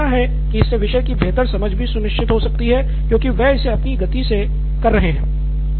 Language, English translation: Hindi, But it may lead to better understanding of the topic for sure because they are doing it at your own pace, and doing that